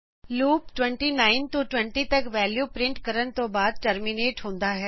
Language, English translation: Punjabi, Loop terminates after printing the values from 29 to 20